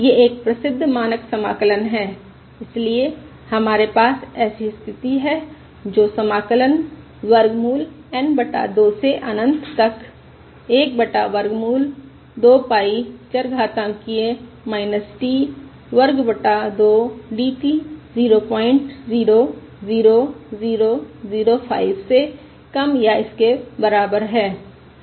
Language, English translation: Hindi, so what we have is this condition, that is, integral: square root of N over 2 to infinity 1 over square root of 2 pie e raise to minus t square by 2 d t should be less than or equal to point 00005